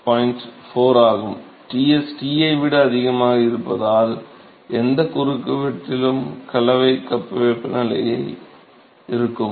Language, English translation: Tamil, 4, if Ts is greater than T, mixing cup temperature at any cross section